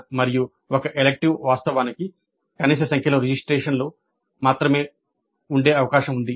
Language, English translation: Telugu, And it is possible that an elective has actually only that minimum of registrants